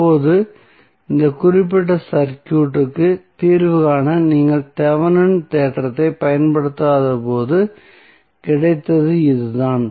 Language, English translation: Tamil, Now, this is what you got when you did not apply Thevenin theorem to solve this particular circuit